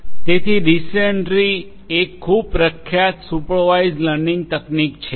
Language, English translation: Gujarati, So, decision tree is also a very popular supervised learning technique